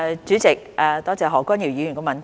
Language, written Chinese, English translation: Cantonese, 主席，多謝何君堯議員的補充質詢。, President I thank Dr Junius HO for his supplementary question